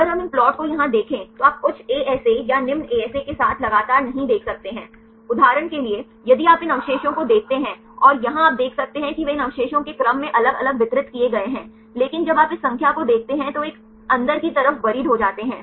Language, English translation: Hindi, If we look into these plot here also you can see they continuously not with the high ASA or low ASA; like for example, if you see these residue and here you can see they are distributed differently in the sequence here these residues, but when you look into this number they are buriedly interior